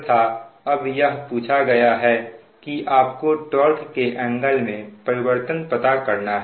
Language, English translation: Hindi, it has been asked now that your find the change in torque angle